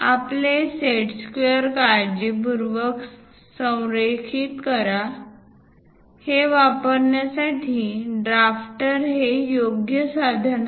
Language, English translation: Marathi, Carefully align your set squares; drafter is the right tool to use this